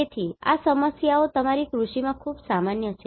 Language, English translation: Gujarati, So, these problems are very common in your agriculture